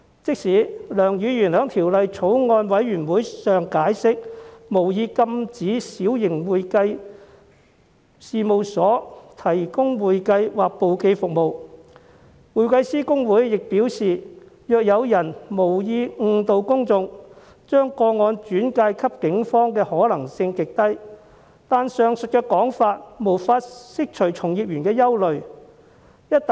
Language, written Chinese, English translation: Cantonese, 即使梁議員在相關法案委員會上解釋，他無意禁止小型會計事務所提供會計或簿記服務，公會又表示，將無意誤導公眾的個案轉介給警方的可能性極低，但都無法釋除從業員的憂慮。, Even though Mr LEUNG has explained in the relevant Bills Committee that he did not intend to prohibit small firms from providing accounting or bookkeeping services and HKICPA has advised that the possibility of referring complaints against cases of unintentional misleading of the public to the Police is very low the worry of the practitioners still cannot be allayed